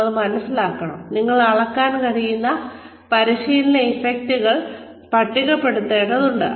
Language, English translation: Malayalam, You must realize, we need to list the training effects, that we can measure